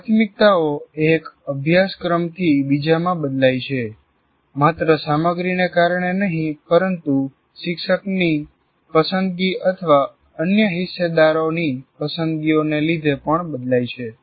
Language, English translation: Gujarati, So the priorities, as you can see, vary from one course to the other not only because of the content, also because of the preference of the teacher or the other stakeholders' preferences